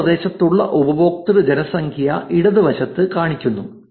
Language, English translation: Malayalam, The left side is showing you user population in nearby region